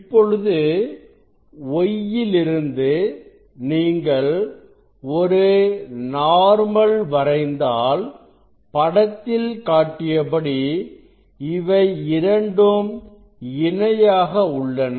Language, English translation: Tamil, if you just this if you just from y if you just draw a normal on this, on this on this ray, so these two are parallel